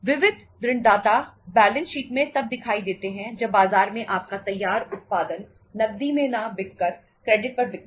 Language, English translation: Hindi, Sundry debtors appear in the balance sheet when, sundry debtors appear in the balance sheet by selling your finished production in the market on credit not on cash